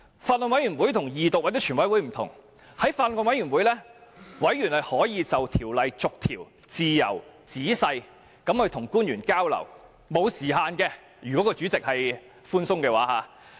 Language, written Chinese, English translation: Cantonese, 法案委員會與二讀或全體委員會不同，在法案委員會上，委員可以與官員自由、仔細地逐項條例進行交流，如果主席寬鬆處理，可不設時限。, The Bills Committee stage is different from the Second Reading or Committee stage . In the Bills Committee Members may have exchanges freely with government officials in the course of the detailed clause - by - clause scrutiny of the Bill . If the Chairman of the Bills Committee adopts a lenient approach there will not be any time limits for the exchanges